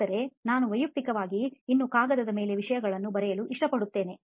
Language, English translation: Kannada, But I personally still like to write things on paper